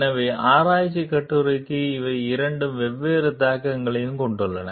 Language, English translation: Tamil, So, for the research article so, these have 2 different implications